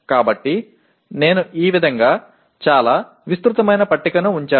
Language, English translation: Telugu, So I put a very elaborate table like this